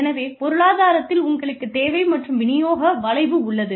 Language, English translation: Tamil, So, in economics, you have the demand and supply curve